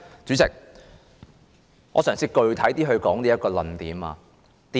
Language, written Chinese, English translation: Cantonese, 主席，我嘗試更具體地闡述我的論點。, Chairman I will try to elucidate my arguments